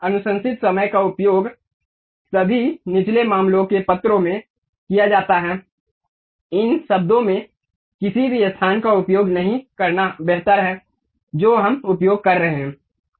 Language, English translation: Hindi, Use recommended is all all the time lower case letters, better not to use any space in these words what we are using